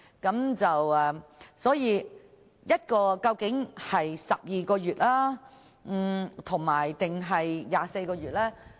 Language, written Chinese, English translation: Cantonese, 檢控期限究竟應該是12個月，還是24個月呢？, Should the time limit for prosecution be 12 months or 24 months?